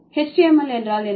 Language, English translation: Tamil, So then it is going to be HTML